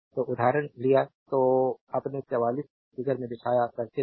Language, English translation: Hindi, So, let taken example; so, in the circuit shown in figure your 44 ah